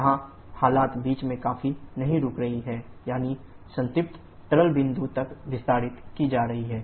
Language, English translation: Hindi, Here the condition is not stopping somewhere in between that is being extended up to the saturated liquid